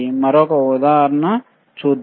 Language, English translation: Telugu, Let us see another thing